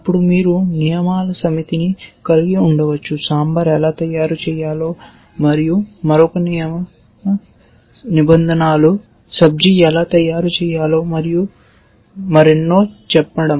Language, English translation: Telugu, Then, you might have a set of rules let say to how to make sambar and another set of rules how to make subjee and so on and so forth